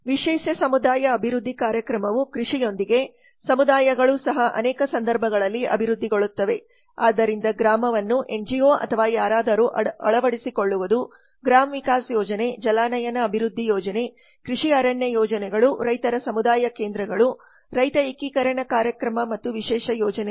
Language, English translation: Kannada, the special community development program along with agriculture the communities also develop in many cases so the village adoption by NGO or somebody the gram Vikas project the watershed development project farm forestry projects farmers community centers farmer integration program and the special projects